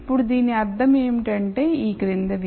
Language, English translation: Telugu, Now what this basically means is the following